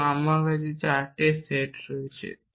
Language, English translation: Bengali, And I have 4 set